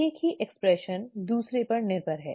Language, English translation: Hindi, Expression of one is dependent on the other